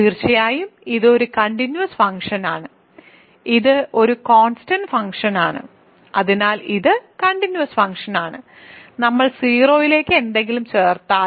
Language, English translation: Malayalam, Certainly it is a continuous function, it is a constant functions so, it is continuous function and if we add anything to 0